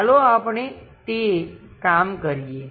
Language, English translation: Gujarati, Let us work it out